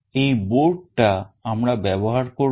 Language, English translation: Bengali, This is the board that we will be using